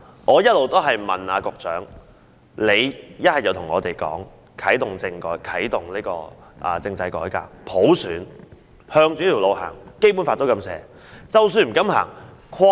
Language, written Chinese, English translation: Cantonese, 我一直在問局長，他要不便對我們說會啟動政制改革、普選，朝着這條路走，因為《基本法》也是這樣寫的。, I have kept putting this question to the Secretary . He might as well tell us that he would kick - start the constitutional reform towards universal suffrage and we would move forward in this direction because this is all enshrined in the Basic Law